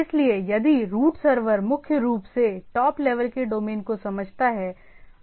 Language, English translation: Hindi, So, if the root server primarily understands the top level domains